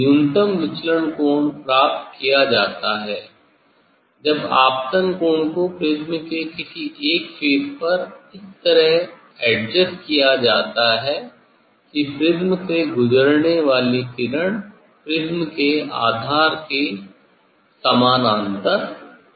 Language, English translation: Hindi, the minimum deviation angle is achieved by adjusting the incident angle to one of the prism face such that, the ray passing through the prism to be parallel to the base of the prism